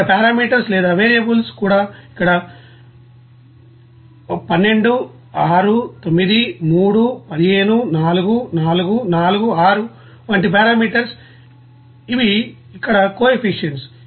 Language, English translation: Telugu, Like this here parameters or variables also parameters like here 12, 6, 9, 3, 15, 4, 4, 4, 6 like this, these are the you know coefficients here